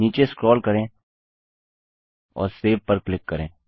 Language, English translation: Hindi, Let us scroll down and lets click on SAVE